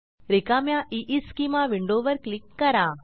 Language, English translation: Marathi, Now click on the blank EESchema window